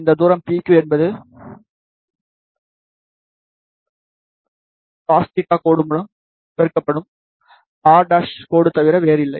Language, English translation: Tamil, And this distance PQ is nothing but r dash multiplied by angle cos theta dash